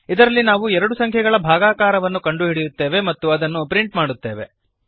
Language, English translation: Kannada, In this we calculate the difference of two numbers and we print the difference